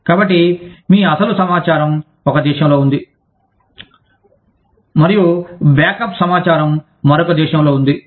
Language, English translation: Telugu, So, your actual information is in one country, and the backup information is in another country